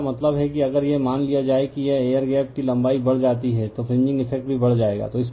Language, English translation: Hindi, So, I mean if it is the suppose if this air gap length increases, the fringing effect also will increase